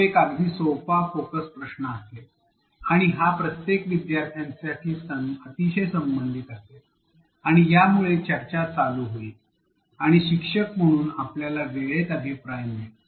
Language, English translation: Marathi, This is a very simple focus question and again it is related, it is very relevant to every learner, and that that would get the discussion going and as an instructor we get just in time feedback